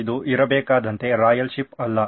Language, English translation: Kannada, It was not a royal ship as it should be